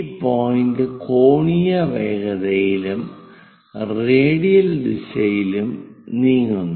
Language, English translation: Malayalam, This point moves with the angular velocity and also radial direction